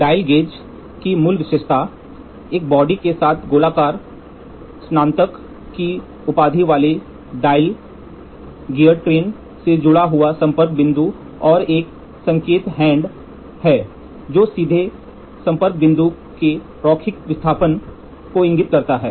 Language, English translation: Hindi, The basic feature of a dial gauge consist of a body with a circular graduated dial, a contact point connected to a gear train, and indicating hand that directly indicates the linear displacement of the contact point